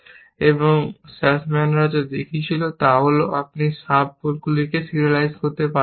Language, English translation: Bengali, What Sussman showed was that there are examples where, you just cannot serialize the sub goals